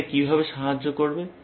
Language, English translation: Bengali, How will it help